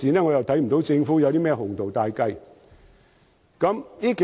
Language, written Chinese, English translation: Cantonese, 我又看不到政府有甚麼鴻圖大計。, On my part I fail to see any grandiose plan being made by the Government